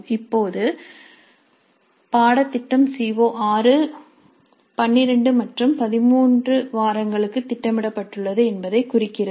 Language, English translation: Tamil, Now lesson plan indicates that CO6 is planned for weeks 12 and 13